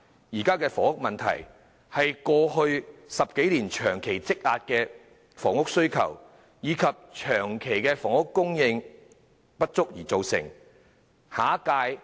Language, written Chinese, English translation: Cantonese, 現時的房屋問題是由過去10多年長期積壓的房屋需求，以及房屋供應長期不足所造成。, The present housing problem has actually resulted from the housing demand amassed over the past 10 years and from the perennial shortage of housing supply